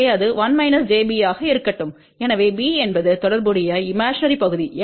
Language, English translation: Tamil, So, this will be 1 minus j b let us say, where b is the corresponding imaginary part